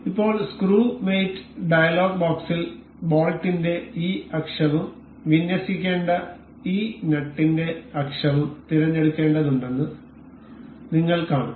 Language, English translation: Malayalam, Now in the screw mate dialog box we will see we have to select this axis of the bolt and also the axis of this nut to be aligned